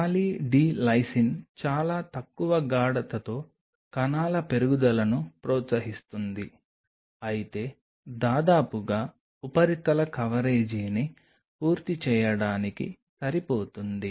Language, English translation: Telugu, Poly D Lysine at a fairly low concentration does promote cell growth, but good enough to make an almost like the surface coverage should be full